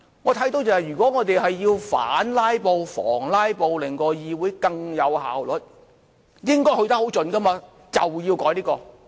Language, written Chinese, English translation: Cantonese, 我看到如果我們要反"拉布"，防"拉布"，令到議會更有效率，應該去得很盡，便要改這些。, All I can see is that if we are going to curb or prevent a filibuster and to improve the efficiency of the legislature we should go to the extreme by amending these rules